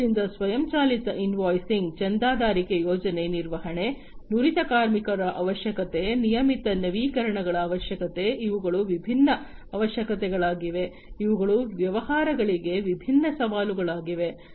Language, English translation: Kannada, So, automatic invoicing, subscription plan management, requirement of skilled labor, requirement of regular updates; these are different requirements, which are also posing as different challenges to the businesses